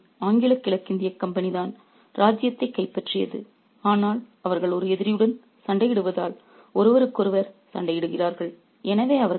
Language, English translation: Tamil, The real enemy is the English East and a company which has taken over the kingdom, but they fight each other as they are fighting an enemy